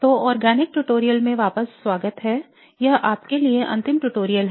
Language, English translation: Hindi, So welcome back to the organic tutorials